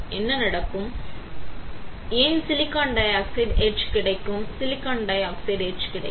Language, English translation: Tamil, What will happen, my silicon dioxide will get etch, silicon dioxide will get etch